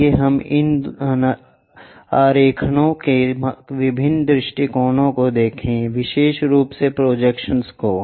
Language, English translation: Hindi, Let us look at different perspectives of this drawings, especially the projections